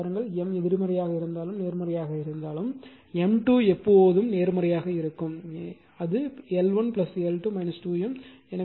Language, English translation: Tamil, Now look and that whether M is negative or positive, M square will be always positive right